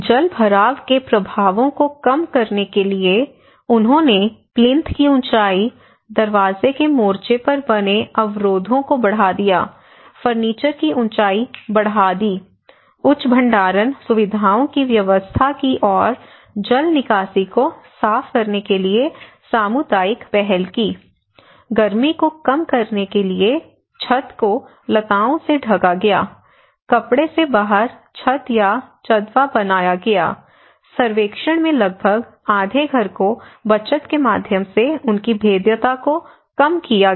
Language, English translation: Hindi, To reduce the impacts of waterlogging, they increased plinth height made barriers at door front, increased furniture height, arranged higher storage facilities and took community initiatives to clean drainage, to reduce heat, creepers were grown covering the roof, false ceiling or canopy made out of clothes were made almost half of the household surveyed reduced their vulnerability through savings